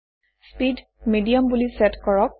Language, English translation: Assamese, Set speed at Medium